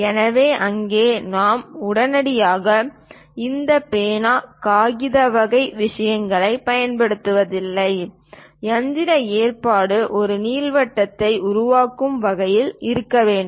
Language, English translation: Tamil, So, there we do not straightaway use this pen, paper kind of thing; the mechanical arrangement has to be in such a way that, finally it construct an ellipse